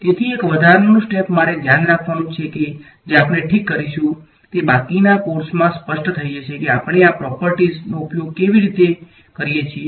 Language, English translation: Gujarati, So, one extra step I have to take care of which we will do ok, it will become clear in the rest of the course how we use these properties ok